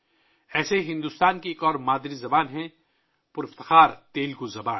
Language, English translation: Urdu, Similarly, India has another mother tongue, the glorious Telugu language